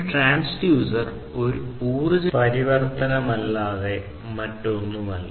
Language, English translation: Malayalam, So, what we are seeing is that a transducer is nothing but an energy converter